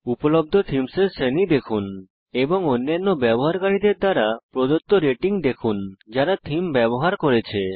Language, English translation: Bengali, Here you can preview the theme, see the categories of themes available and see the ratings given by other users who have used the theme